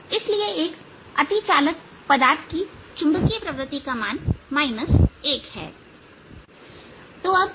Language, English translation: Hindi, so the value of magnetic susceptibility of a superconducting material is minus one